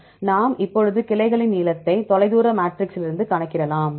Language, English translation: Tamil, So, now we have, okay now you see the length of the branches, we can calculate from the distance matrix